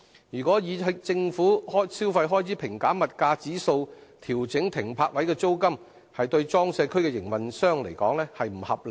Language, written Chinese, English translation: Cantonese, 如果以"政府消費開支平減物價指數"調整停泊位的租金，對裝卸區營運商而言並不合理。, Judging from the perspective of PCWA operators it is unreasonable to base on GCED when adjusting the charge for using PCWA berths